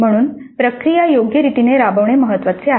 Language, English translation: Marathi, So, it is important to have the process implemented properly